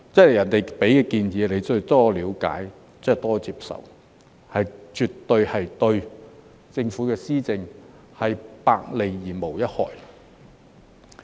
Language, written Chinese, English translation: Cantonese, 別人給你建議，你就要多了解、多接受，這絕對是對政府的施政百利而無一害。, This will definitely bring nothing but benefits to the policy implementation of the Government